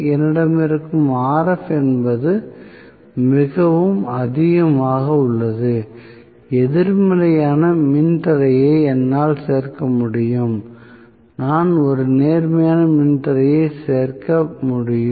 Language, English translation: Tamil, What I have is Rf, that Rf is very much there, I cannot include a negative resistance I can only include a positive resistance